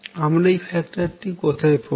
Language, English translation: Bengali, How would I get this factor